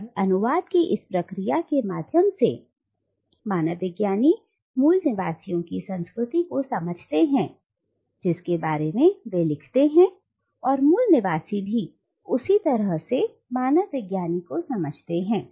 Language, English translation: Hindi, And it is through this process of translation that the anthropologist understands the culture of the native inhabitants about which he or she writes and also vice versa, the natives also understand the questions of the anthropologist for instance